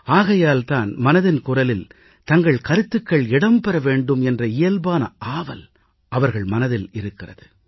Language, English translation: Tamil, And therefore it is their natural desire that it gets a mention in 'Mann Ki Baat'